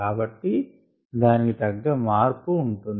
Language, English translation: Telugu, so there would be corresponding change